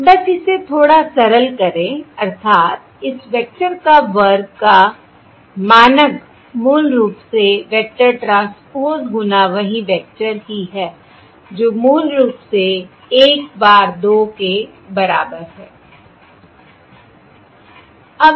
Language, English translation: Hindi, that is, the norm of this vector square is basically this vector transpose times itself, which is basically equal to 1 bar 2